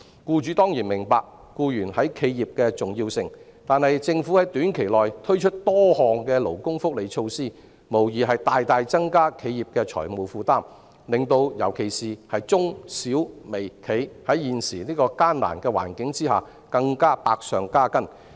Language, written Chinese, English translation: Cantonese, 僱主當然明白僱員對企業重要，但是，政府在短期內推出多項勞工福利措施，無疑大大增加企業的財務負擔，令尤其是中小微企在現時的艱難環境下更百上加斤。, Employers certainly appreciate the importance of employees to enterprises but the many labour welfare measures introduced by the Government within a short period of time will undoubtedly place an enormous financial burden on enterprises aggravating the plight of companies particularly MSMEs in the present difficult environment